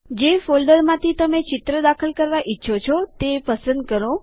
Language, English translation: Gujarati, Choose the folder from which you want to insert a picture